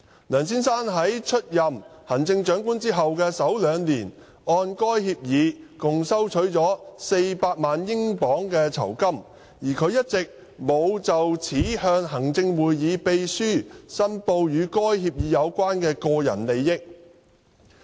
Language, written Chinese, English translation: Cantonese, 梁先生在出任行政長官後的首兩年按該協議共收取了400萬英鎊酬金，但他一直沒有就此向行政會議秘書申報與該協議有關的個人利益。, Mr LEUNG received under the agreement a remuneration of £4 million in total in the first two years after his taking the office of CE but he had all along failed to declare his interests relating to the agreement to the Clerk to the Executive Council ExCo